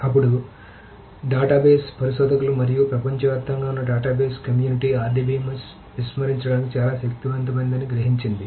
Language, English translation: Telugu, Then the database researchers and the database community all over the world realized that the RDBMS is just too powerful to ignore